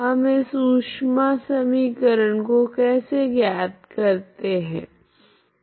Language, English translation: Hindi, How we derived this heat equation